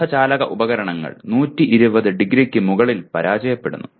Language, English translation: Malayalam, Semiconductor devices fail above 120 degrees